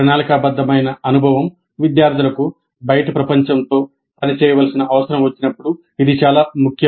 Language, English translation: Telugu, This is particularly important when the planned experience requires the students to work with the outside world